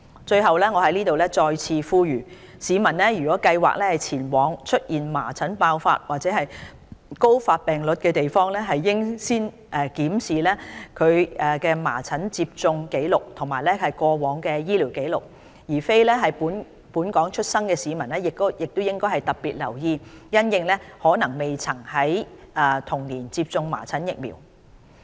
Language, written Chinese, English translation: Cantonese, 最後，我在此再次作出呼籲，市民如計劃前往出現麻疹爆發或高發病率的地方，應先檢視其疫苗接種紀錄及過往醫療紀錄。非本港出生的市民應特別留意，因其可能未曾在童年時接種麻疹疫苗。, Lastly I wish to appeal here that members of the public who are planning to travel to places with high incidence or outbreaks of measles should review their vaccination history and past medical history especially people born outside Hong Kong who might not have received measles vaccination during childhood